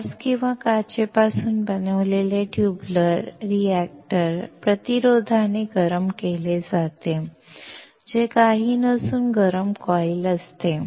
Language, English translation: Marathi, The tubular reactor made out of quartz or glass heated by the resistance, which is nothing, but heating coils